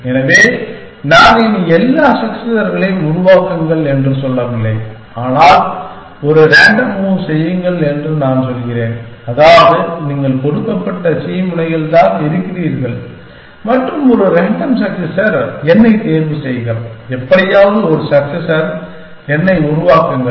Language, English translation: Tamil, So, I am no longer saying that generate all the successors, I am just saying make a random move which means, you are at some given node c and choose a random successor n, just somehow generate one successor n